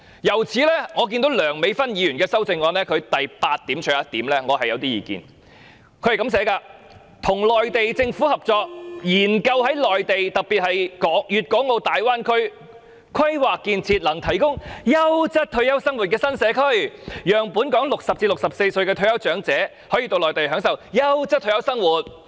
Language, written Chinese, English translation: Cantonese, 因此，我對於梁美芬議員的修正案的第八點有點意見，內容是"與內地政府合作，研究在內地特別是粵港澳大灣區，規劃建設能提供優閒退休生活的新社區，讓本港60歲至64歲的退休長者到內地享受優質退休生活。, Therefore I have some comments to make on point 8 of Dr Priscilla LEUNGs amendment which reads cooperating with the Mainland Government to conduct a study on planning and building new communities that can facilitate leisurely retirement life on the Mainland especially in the Guangdong - Hong Kong - Macao Bay Area to enable elderly retirees aged between 60 and 64 in Hong Kong to move to the Mainland to enjoy quality retirement life